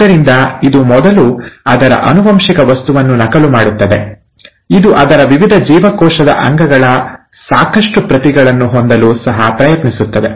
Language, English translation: Kannada, So it first duplicates its genetic material, it also tries to have sufficient copies of its various cell organelles